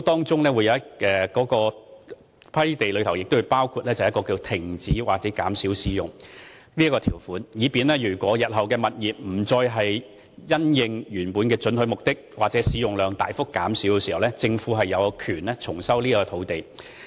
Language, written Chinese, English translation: Cantonese, 在批地時也會包含停止或減少使用的條款，以便日後物業一旦不再因應原本的准許目的或使用量大幅減少時，政府亦有權重收土地。, Another term which is included in land grant treaty is cease or reduction in usage . This term gives the Government the right to resume the land if the tenant ceases or substantially reduces in using the premise for the permitted purpose originally prescribed in the private treaty